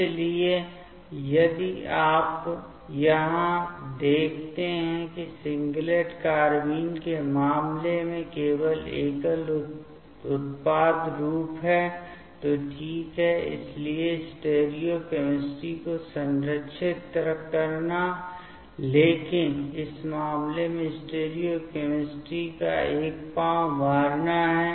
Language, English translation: Hindi, So, if you see here that incase of singlet carbene only single product form ok, so preserving the stereochemistry, but in this case there is a scrambling of the stereochemistry